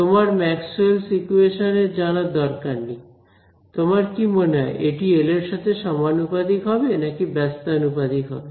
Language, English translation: Bengali, If you did not know you do not need to know Maxwell’s equations intuitively, should it depend proportional to be proportional to L or inversely proportional to L